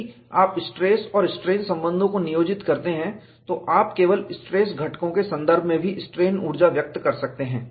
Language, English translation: Hindi, If you employ the stress strain relations, you could also express the strain energy in terms of only the stress components